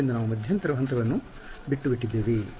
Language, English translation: Kannada, So, those intermediate steps we have skipped in between